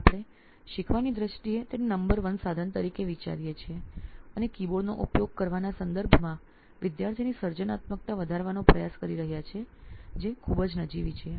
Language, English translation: Gujarati, So we are thinking it in terms of learning as the number 1 tool and trying to enhance the creativity of the student which is very meagre in terms of using a keyboard